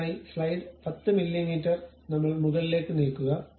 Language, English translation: Malayalam, So, now the slice has been moved up now let us give 10 mm